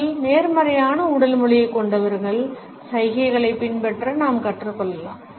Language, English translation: Tamil, We can learn to emulate gestures of people who have more positive body language